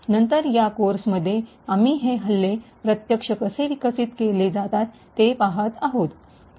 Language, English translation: Marathi, Later on, in this course we will be actually looking how these attacks are actually developed